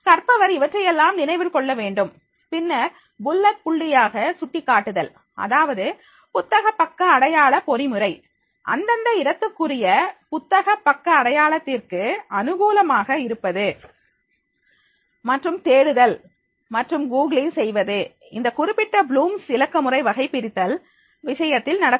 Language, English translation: Tamil, So therefore the learner that he has to remember all this and then by the bullet point highlighting, that means the bookmarking mechanism, favouring a local bookmarking’s and searching and googling that will be done in the case of this particular blooms digital taxonomy